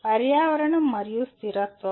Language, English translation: Telugu, Environment and sustainability